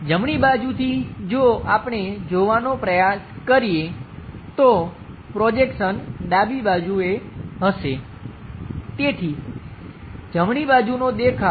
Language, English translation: Gujarati, From right side, if we are trying to look at, the projection will be on the left hand side; so, right side view